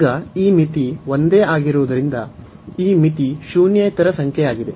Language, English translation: Kannada, So, now since this limit is same this limit is a non zero number